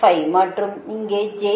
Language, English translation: Tamil, and this is j one